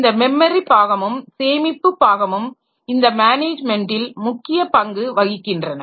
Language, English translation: Tamil, So, this memory part and the storage part, their management plays a significant role